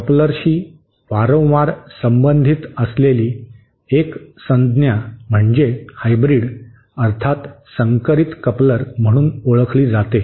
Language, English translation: Marathi, One term that is frequently associated with couplers is what is known as a hybrid coupler